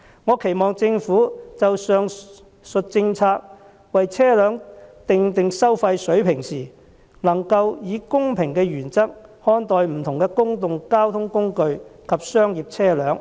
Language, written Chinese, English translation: Cantonese, 我期望政府就上述政策為車輛訂定收費水平時，能夠以公平原則看待不同的公共交通工具及商業車輛。, I hope the Government will adhere to the principle of fairness when formulating fees for various means of public transport and commercial vehicles in relation to the policies above